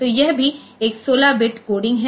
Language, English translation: Hindi, So, this is also a 16 bit coding